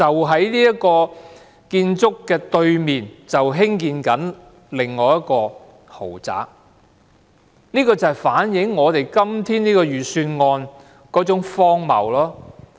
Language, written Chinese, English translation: Cantonese, 在這個單位對面，正在興建一個豪宅項目，正好反映我們今天這份預算案的荒謬。, Ironically a development project is underway on the opposite side of the apartment mentioned above for the production of luxury flats and this can rightly reflect how ridiculous the Budget is